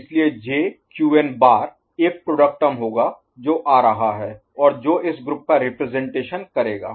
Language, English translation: Hindi, So, J Qn bar will be one product term that is coming and which will represent this group